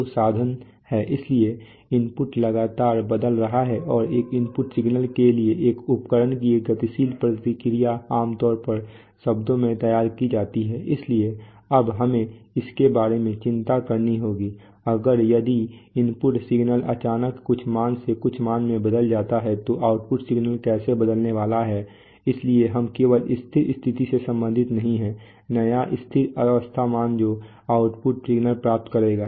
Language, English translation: Hindi, So the instrument is, so the input is continuously changing and the dynamic response of an instrument to an input signal is typically modeled in terms, so we, when we, so now we have to, we have to worry about that, if a signal, if the input signal suddenly changes from some value to some value, how is the output signal going to change, so we are not only concerned with the steady state, new steady state value that the output signal will achieve